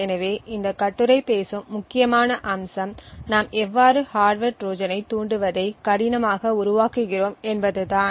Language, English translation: Tamil, So, the critical aspect what this paper talks about is how would we make triggering the hardware Trojan difficult